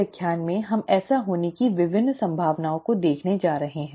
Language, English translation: Hindi, In this lecture this is what we are going to see the various possibilities of that happen